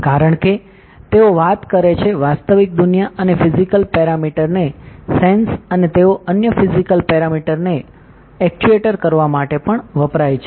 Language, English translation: Gujarati, Because they talk to the real world and the sense physical parameters and they are also sometimes used to actuate other physical parameters